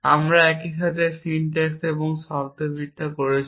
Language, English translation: Bengali, We are doing syntax and semantics at the same time